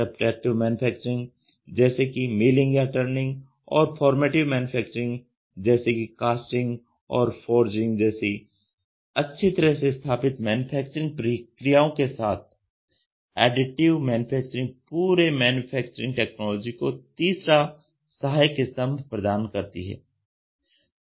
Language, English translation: Hindi, It was originally called as 3D printing and is still frequently called that, together with the well established subtractive manufacturing such as milling or turning and the formability manufacturing such as casting and forging, Additive Manufacturing provides the third supporting pillar of the entire manufacturing technology